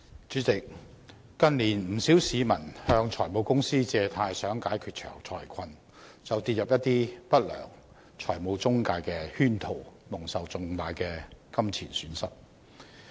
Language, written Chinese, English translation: Cantonese, 主席，近年不少市民向財務公司借貸想解決財困，但卻跌入了一些不良財務中介公司的圈套，蒙受重大金錢損失。, President in recent years quite many members of the public who wish to borrow money from finance companies to resolve their financial difficulties have fallen into traps laid by unscrupulous financial intermediaries and suffered huge pecuniary losses